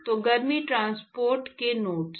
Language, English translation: Hindi, So, the nodes of heat transport